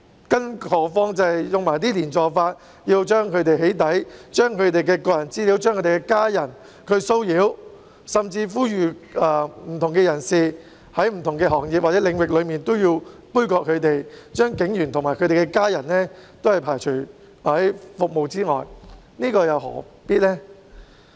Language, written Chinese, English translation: Cantonese, 更何況有些人以"連坐法"，將他們的個人資料"起底"，令他們的家人受到騷擾，甚至呼籲不同行業或領域的人杯葛他們，拒絕為警員及其家人提供服務，這又何必呢。, More importantly still some people have put the blame on all of them and doxxed their personal data so that their family members are subject to harassment . They have even called on people from different trades or industries to boycott police officers and their family members and refuse to provide services for them why should they act in this way?